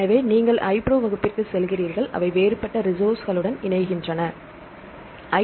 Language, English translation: Tamil, So, you go the iPro class and they link with the different other resources